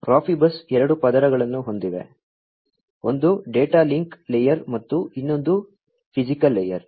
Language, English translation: Kannada, So, Profibus has two layers; one is the data link layer and the other one is the physical layer